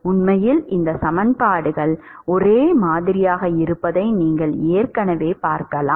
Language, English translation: Tamil, In fact, you can already see that these equations are similar